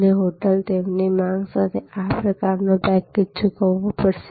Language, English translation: Gujarati, And the hotel will have to pay this kind of package with their demand pattern